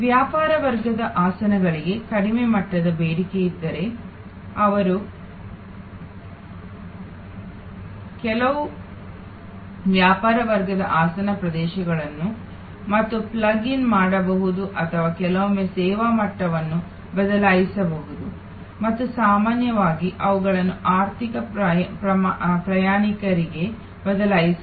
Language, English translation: Kannada, If there is a low level of demand for the business class seats, they can out some of the business class seat areas and plug in or sometimes just change the service level and often them to economy passengers